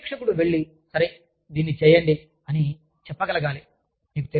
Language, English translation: Telugu, Their supervisor, should be able to say, okay, go, and do this, you know